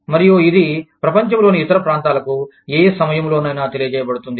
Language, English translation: Telugu, And, it is communicated, to the rest of the world, in no time at all